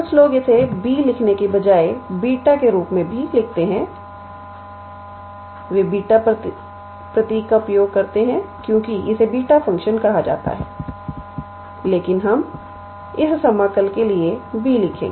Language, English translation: Hindi, Some people also write it as beta instead of writing B, they use the symbol beta because it is called as the beta function, but we will write B for this integral